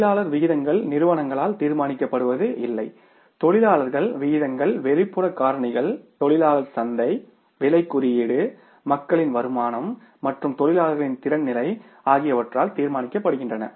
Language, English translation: Tamil, When the labour rates go up and labour rates are not decided by the companies, labour rates are decided by the external factors, labour market, price index, income of the people and the level of the, say, skill level of the workers